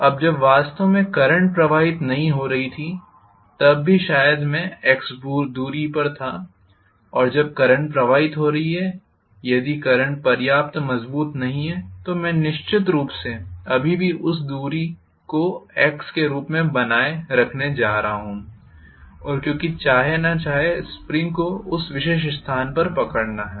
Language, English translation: Hindi, Now when actually the current was not flowing, still maybe I was having the distance of x and when the current is flowing, if the current is not strong enough I am definitely going to have still that distance maintained as x because the spring is going to hold it at that particular place whether we like it or not